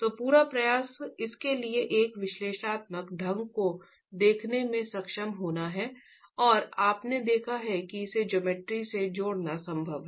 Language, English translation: Hindi, So, the whole attempt is to be able to look at an analytical framework for it and you've seen that it's possible to link it to the geometry